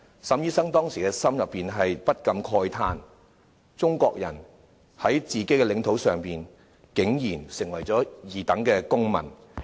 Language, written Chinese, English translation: Cantonese, 沈醫生當時心裏不禁慨嘆，中國人在自己的領土上，竟然淪為二等公民。, Dr SUNG could not help lamenting that Chinese people were relegated to second - class citizens in their own territory